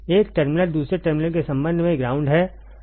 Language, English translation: Hindi, One terminal is ground with respect to the second terminal right